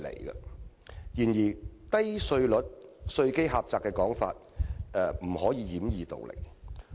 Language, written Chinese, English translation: Cantonese, 然而，稅率低、稅基窄的說法卻只是掩耳盜鈴。, But any talk about Hong Kong having a low tax rate or narrow tax base is simply self - deceiving